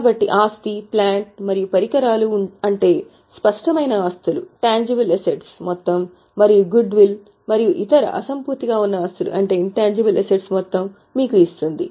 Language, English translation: Telugu, So, property plant and equipment that is the tangible assets total and goodwill and other intangible assets total which gives you the total of total